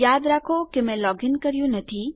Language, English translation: Gujarati, Remember Im not logged in